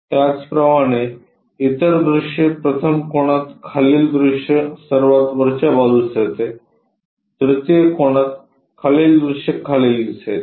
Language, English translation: Marathi, Similarly, the other views, 1st angle the bottom view goes at top; in 3 rd angle the bottom view comes at bottom